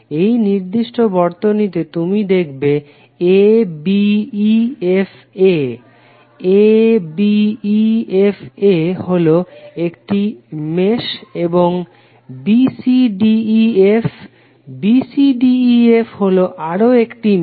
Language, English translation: Bengali, In the particular circuit, you will see abefa, abefa is 1 mesh and bcdef, bcdef is another mesh